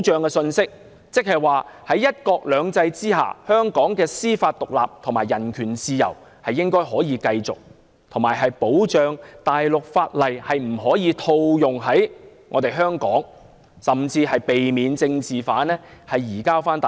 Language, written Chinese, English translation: Cantonese, 即是說，在"一國兩制"下，香港可繼續享有司法獨立及人權自由，以及大陸法例不可以套用在香港、政治犯不可移交到大陸。, In other words under the principle of one country two systems Hong Kong will continue to enjoy judicial independence as well as human rights and freedom . In addition the Chinese legislation would not be imposed on Hong Kong and political offenders should not be extradited to the Mainland